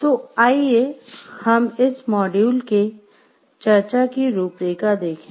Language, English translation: Hindi, So, let us look into the outline of the discussion of this module